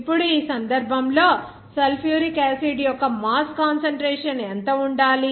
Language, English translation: Telugu, Now in this case, what should be the mass concentration of sulfuric acid